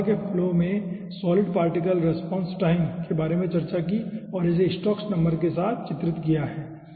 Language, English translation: Hindi, we have discussed about solid particle response time in a flow of air and characterized it with stokes number aah